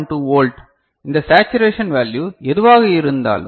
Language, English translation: Tamil, 2 volt whatever this saturation value